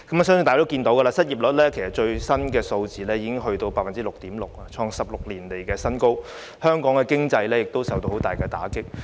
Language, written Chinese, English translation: Cantonese, 相信大家已經知道，最新公布的失業率已達到 6.6%， 創下16年來新高，香港經濟亦受到十分嚴重的打擊。, I believe Members are aware that the latest unemployment rate just released has reached 6.6 % a new high in 16 years . The Hong Kong economy has also suffered a severe blow